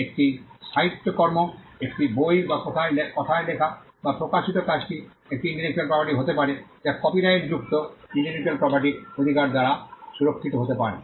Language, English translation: Bengali, A literary work a book or the work that is written or expressed in words could be an intellectual property which can be protected by an intellectual property rights that is copyright